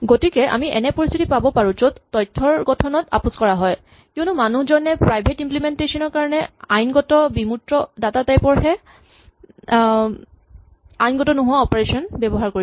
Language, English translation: Assamese, So, we could get situations where the data structure is compromised because the person is using operations which are legal for the private implementation, but illegal for the abstract data type which we are trying to present to the user